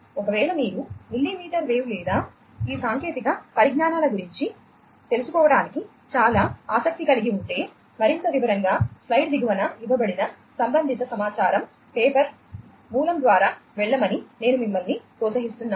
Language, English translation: Telugu, So, you know, in case you are very much interested to know about millimetre wave or any of these technologies, in much more detail, I would encourage you to go through the corresponding material, the paper, the source, that is given at the bottom of the slide